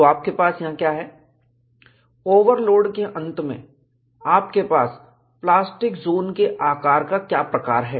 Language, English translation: Hindi, So, what you will have to look at is, in view of an overload, the plastic zone size is much larger